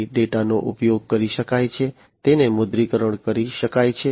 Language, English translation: Gujarati, So, data can be used, it can be monetized data can be monetized